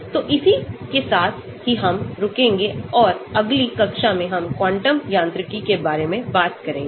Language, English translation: Hindi, So, with that we will stop and in the next class we will talk about quantum mechanics